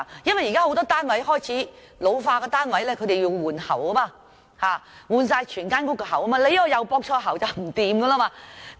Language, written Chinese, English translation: Cantonese, 現時有很多單位開始老化，需要全屋更換水喉，如果駁錯喉管，情況便會很嚴重。, Many housing units are ageing and the units need to have all the pipes renewed . If the pipes are incorrectly connected there will be dire consequences